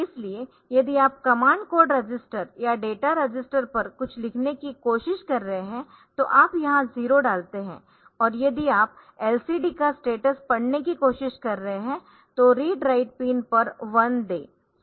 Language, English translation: Hindi, So, if you are trying to write something on to the command code register or data register if you put a 0 here and if you are trying to read the status of the LCDs